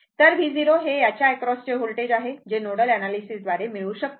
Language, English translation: Marathi, So, V 0 also one can your this voltage across this one it can be obtained your from nodal analysis